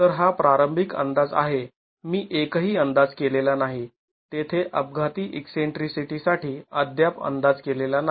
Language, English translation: Marathi, So this initial estimate, I have not made an estimate, there is no estimate of the accidental eccentricity yet